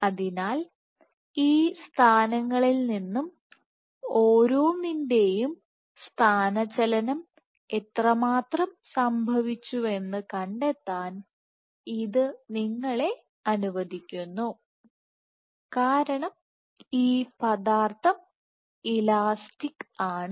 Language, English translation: Malayalam, So, this allows you to find out how much has been the displacement of each of these positions, and because this material is as elastic